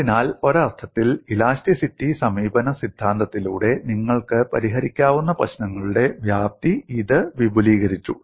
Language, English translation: Malayalam, So in a sense it has expanded the scope of problems that you could solve by a theory of elasticity approach